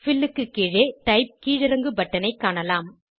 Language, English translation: Tamil, Under Fill, we can see Type drop down button